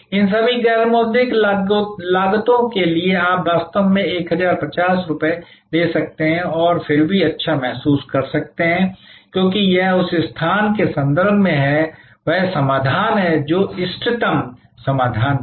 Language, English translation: Hindi, For all these non monitory costs, you might actually take the 1050 and still feel good because that is in the context of where adjacency; that is the solution which was the optimum solution